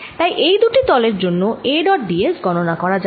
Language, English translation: Bengali, so of for these two surfaces let us calculate a dot d s